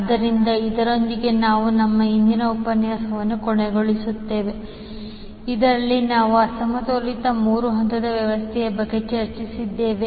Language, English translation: Kannada, So with this we can close our today's session in which we discussed about the unbalanced three phase system